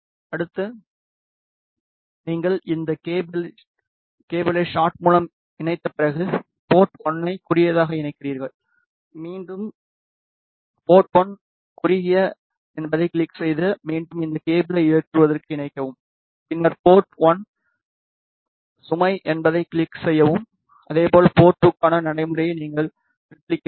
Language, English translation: Tamil, Next you connect the port 1 to short after connecting this cable with shot again click on port 1 short, then again connect this cable to load and then click on port 1 load and similarly you replicate the procedure for port 2